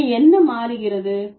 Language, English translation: Tamil, So, what is changing